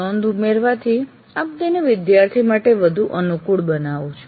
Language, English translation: Gujarati, By annotatingating that you make it more convenient for the student